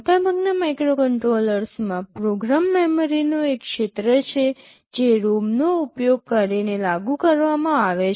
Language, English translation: Gujarati, In most microcontrollers there is an area of program memory which is implemented using ROM